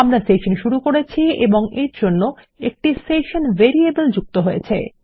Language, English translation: Bengali, Weve started the session and this lets us add a session variable